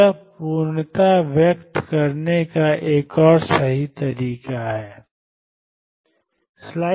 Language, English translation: Hindi, So, this is another way of expressing completeness